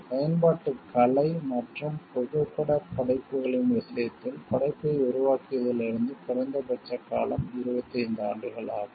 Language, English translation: Tamil, In the case of works of applied art and photographic works, the minimum term is 25 years from the creation of the work